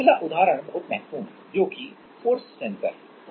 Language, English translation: Hindi, Next is very important example that is force sensors